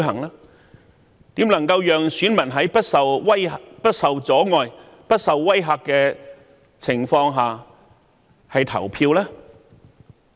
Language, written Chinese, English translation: Cantonese, 如何能讓選民在不受阻礙、不受威嚇的情況下投票？, How can it enable voters to cast their votes without being obstructed and threatened?